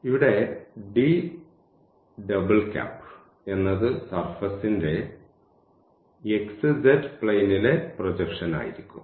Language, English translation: Malayalam, So, here this is the projection of that cylinder in the xy plane